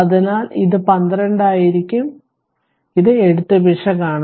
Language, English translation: Malayalam, So, it will be 12 it is a writing error